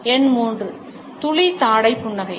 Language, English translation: Tamil, Number 3 the drop jaw smile